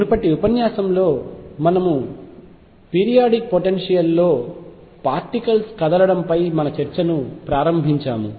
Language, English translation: Telugu, In the previous lecture we started our discussion on particles moving in a periodic potential